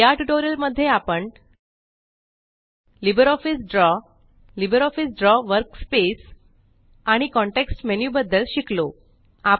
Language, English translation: Marathi, In this tutorial, we learnt about LbreOffice Draw, The LibreOffice Draw Workspace and And the context menu